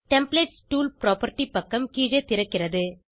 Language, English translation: Tamil, Templates tool property page opens below